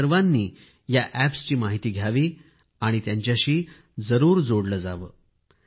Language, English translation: Marathi, Do familiarise yourselves with these Apps and connect with them